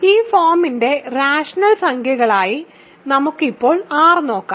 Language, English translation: Malayalam, So, let us look at R now to be rational numbers of this form